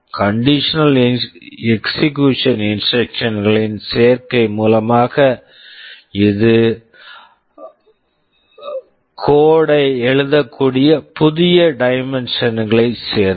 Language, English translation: Tamil, The addition of conditional execution instructions, this has added a new dimension to the way people can write codes